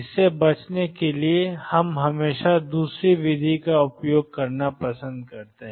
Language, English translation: Hindi, To avoid this we always prefer to use the second method